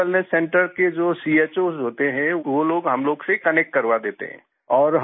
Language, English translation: Hindi, The CHOs of Health & Wellness Centres get them connected with us